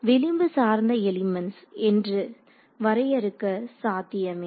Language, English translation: Tamil, It is also possible to define what are called edge based elements